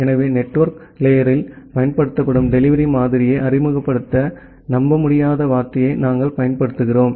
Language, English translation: Tamil, So, that is why we use the term unreliable to introduce the delivery model which is being used at the network layer